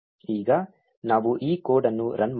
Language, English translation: Kannada, Now let us run this code